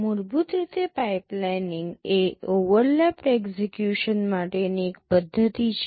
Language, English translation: Gujarati, Basically pipelining is a mechanism for overlapped execution